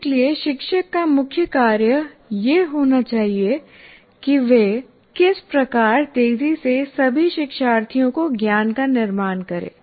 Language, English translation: Hindi, So the main task of the teacher should be how do I foster the construction of the knowledge of all learners